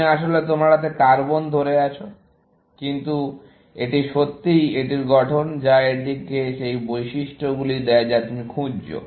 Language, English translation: Bengali, You, basically, holding carbon in your hand, but it is really the structure of it, which gives it the properties that you looking for